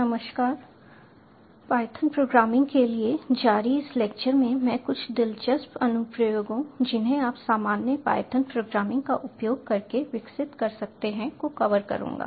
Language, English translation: Hindi, in this lecture, in continuation to python programming, i will be covering a few interesting applications you can develop using normal python programming